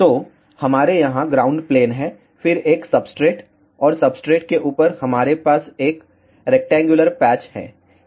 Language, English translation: Hindi, So, we have a ground plane over here then a substrate and on top of the substrate, we have a rectangular patch